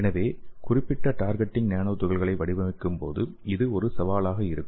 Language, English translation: Tamil, So this can pose a challenge while designing specific targeting nanoparticle